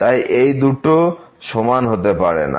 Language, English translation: Bengali, So, this cannot be equal